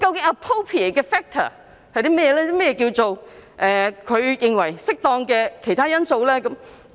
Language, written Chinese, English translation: Cantonese, 何謂"署長認為適當的任何其他因素"呢？, What is meant by any other factor the Director considers appropriate?